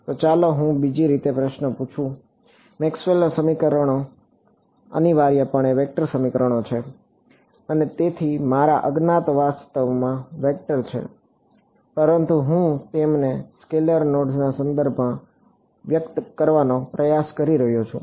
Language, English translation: Gujarati, So, let me sort of posses question in another way, Maxwell’s equations are essentially vector equations right and so, my unknowns are actually vectors, but I am trying to express them in terms of scalar nodes